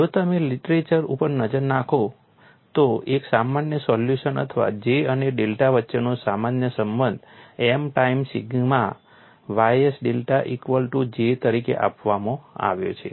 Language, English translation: Gujarati, If you look at the literature a general solution or the general relation between J and delta is given as J equal to M times sigma ys delta and for this particular case you have M equal to 1